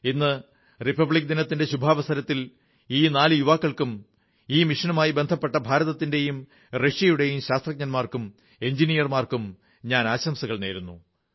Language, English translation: Malayalam, On the auspicious occasion of Republic Day, I congratulate these four youngsters and the Indian and Russian scientists and engineers associated with this mission